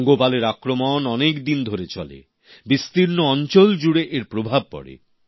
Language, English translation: Bengali, The locust attack lasts for several days and affects a large area